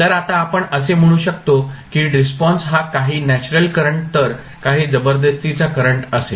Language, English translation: Marathi, So, now let us say that the response will be some of natural current some of forced current